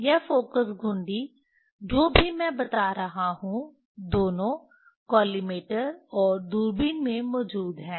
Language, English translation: Hindi, This focus knob whatever I am telling both are present at the collimator and are present at the telescope